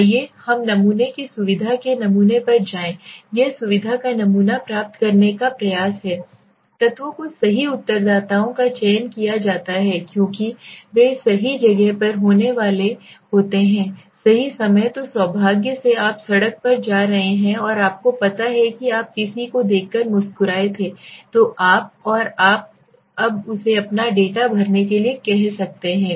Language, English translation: Hindi, Let us go to the sampling convenience sampling it attempts to obtain a sample of convenience elements right respondents are selected because they are happen to be in the right place at the right time so luckily you are going on the street and you know you found somebody he smiled at you and you are now asking him to fill up your data